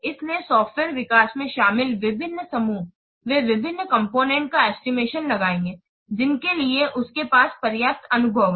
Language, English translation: Hindi, So, different groups involved in the software development, they will estimate different components for which it has adequate experience